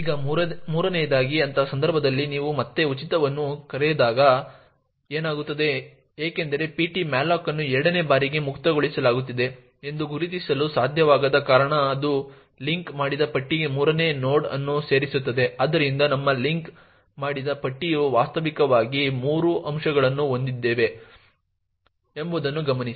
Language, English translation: Kannada, Now thirdly what would happen when you invoke free a again in such a case since ptmalloc cannot identify that a is being freed for the second time it would simply add a third node into the linked list, so note that our linked list virtually has three elements a, b and a